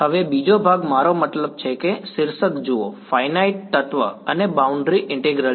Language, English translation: Gujarati, Now the second part is I mean look at the title is finite element and boundary integral